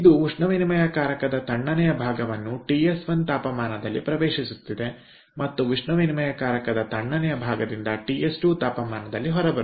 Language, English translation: Kannada, so it is entering the cold side heat exchanger with a temperature ts one and coming out with a temperature ts two from the cold side heat exchanger